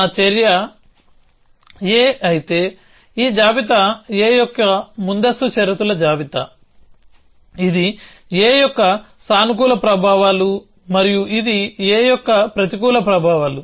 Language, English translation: Telugu, So, if my action is a then this list is the precondition list of a, this is the effects positive of a and this is effects negative of a